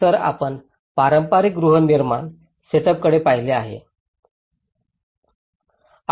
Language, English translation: Marathi, So, if you look at the traditional housing setups